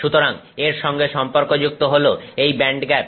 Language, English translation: Bengali, So, this is with respect to the band gap of that material